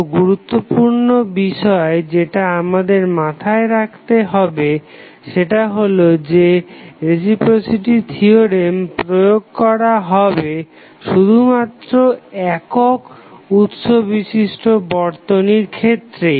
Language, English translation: Bengali, So, important factor to keep in mind is that the reciprocity theorem is applicable only to a single source network